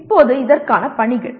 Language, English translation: Tamil, And now the assignments for this